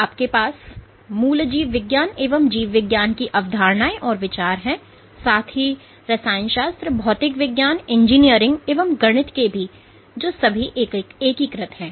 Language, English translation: Hindi, So, you have concepts and ideas from biology, core biology that of chemistry physics engineering and mathematics which are integrated